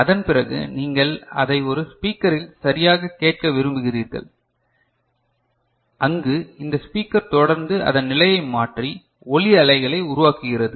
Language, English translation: Tamil, And after that you want to play it in a speaker right, where this speaker will continuously you know change its position and generate the sound wave right